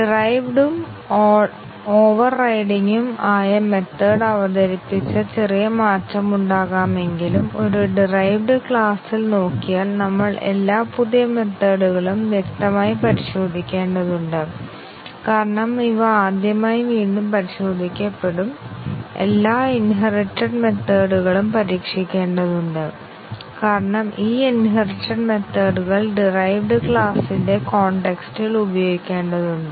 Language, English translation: Malayalam, So, if we look at it in a derived class, we need to test all the new methods obviously, because these are will be retested first time and all the inherited methods have to be tested because these inherited methods will be used in the context of the derived class